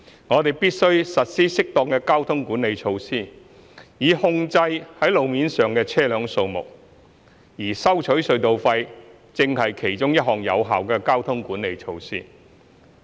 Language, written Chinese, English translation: Cantonese, 我們必須實施適當的交通管理措施，以控制路面上的車輛數目，而收取隧道費正是其中一項有效的交通管理措施。, Appropriate traffic management measures must be implemented to control the number of vehicles running on the road and the collection of tunnel tolls is one of the effective measures in traffic management